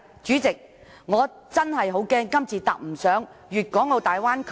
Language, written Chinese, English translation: Cantonese, 主席，我真的擔心，若我們今次未能坐上粵港澳大灣區的快船......, President I am really worried that if we miss the speedboat of the Guangdong - Hong Kong - Macao Bay Area